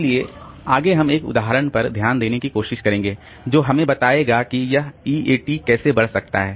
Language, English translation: Hindi, So, next we will try to look into an example that will tell us how this EAT can grow